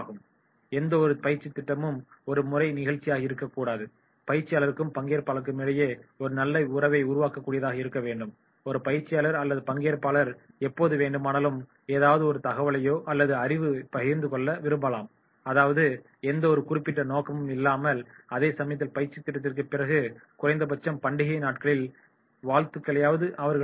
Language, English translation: Tamil, Any training program should not be the one time show, there should be the relationship between the trainer and trainee, and whenever a trainer or trainee they seek any information or any knowledge sharing or may not be the any particular purpose but at least the good wishes, they can share even after the training program